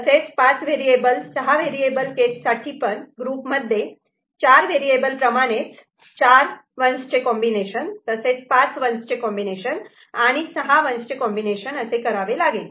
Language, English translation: Marathi, So, five variable, six variable case, then there will be more such groups with four variable combinations, with combinations of four 1’s with combination of five 1’s combination of six 1’s and so on so forth, it will continue is it fine